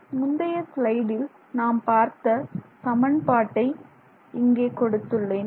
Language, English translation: Tamil, So you can see the same thing that I put in the previous slide is what I have put down here